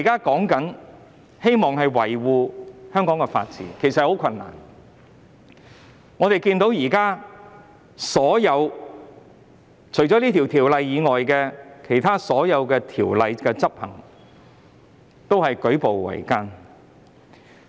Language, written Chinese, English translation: Cantonese, 要維護香港的法治，其實舉步維艱。除《條例》外，其他法例的執行亦舉步維艱。, It is actually very difficult to safeguard Hong Kongs rule of law and it is also very difficult to enforce other laws in addition to the Ordinance